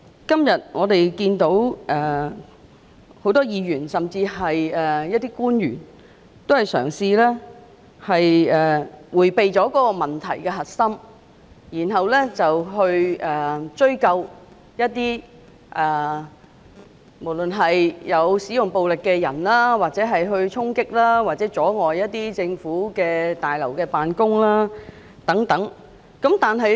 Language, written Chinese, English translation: Cantonese, 今天會議上多位議員、甚至部分官員均嘗試迴避問題的核心，並追究不論有否使用暴力的人士的衝擊或阻礙政府大樓辦公等行為。, At todays meeting a number of Members and even some government officials have tried to avert the core issue and held people accountable for storming government offices and obstructing the operations in government offices etc regardless of whether they had used violence or not